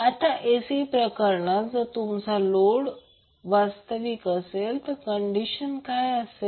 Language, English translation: Marathi, Now, in case of AC if your load is purely real what would be the condition